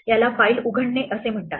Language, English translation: Marathi, This is called opening a file